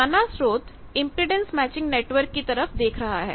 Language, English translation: Hindi, You see that in the impedance matching network